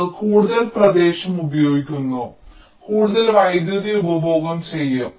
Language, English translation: Malayalam, they consume more area, they will consume more power